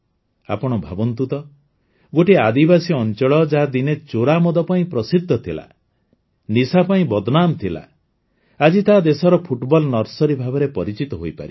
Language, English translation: Odia, Just imagine a tribal area which was known for illicit liquor, infamous for drug addiction, has now become the Football Nursery of the country